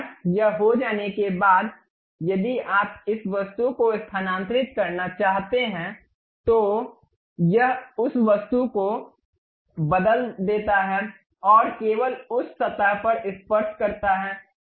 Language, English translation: Hindi, Once it is done, if you want to really move this object, it turns that surface and tangential to that surface only it rotates